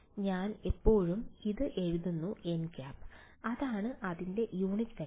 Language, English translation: Malayalam, So, I have always being writing this has n hat; that means, its unit vector